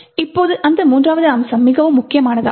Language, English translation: Tamil, Now this third aspect is very critical